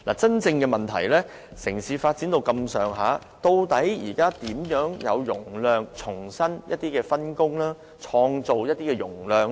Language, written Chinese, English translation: Cantonese, 真正的問題是城市發展已達這個程度，我們現時究竟如何騰出容量，重新分工，創造容量呢？, The development of our city has reached such a stage so how we can create more capacity through a new division of roles among different transport modes?